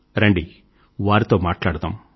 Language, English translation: Telugu, Let's talk to them